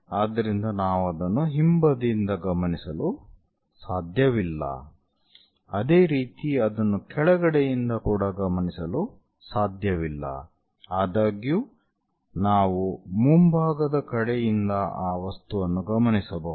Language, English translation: Kannada, So, one cannot observe it from back side similarly, one cannot observe it from bottom side; however, one can observe the object from front side